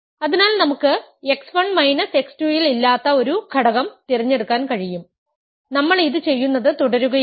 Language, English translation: Malayalam, So, we can we can choose an element in I that is not in x 1 minus x 2 and we keep doing this